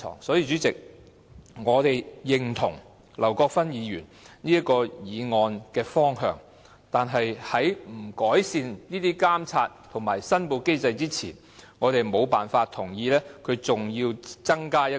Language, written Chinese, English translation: Cantonese, 所以，主席，我們認同劉國勳議員的議案的方向，但是在監察和申報機制未獲得改善之前，我們無法同意再增設"社區建設基金"。, For this reason President we approve of the direction of Mr LAU Kwok - fans motion but before the monitoring and declaration mechanism is improved we cannot agree with the establishment of a community building fund